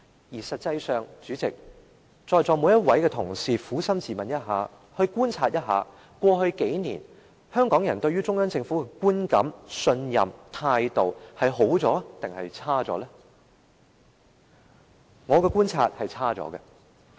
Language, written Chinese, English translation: Cantonese, 而實際上，代理主席，請在席每位同事撫心自問及觀察一下，過去數年，香港人對於中央政府的觀感、信任、態度是變好了還是變差了？, As a matter of fact Deputy President would the Honourable colleagues present please ask themselves honestly and make an observation . Have the impression trust and attitude of Hongkongers towards the Central Government improved or worsened over the past few years?